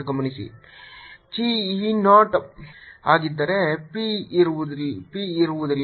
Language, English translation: Kannada, notice: if chi e is zero, then there is no p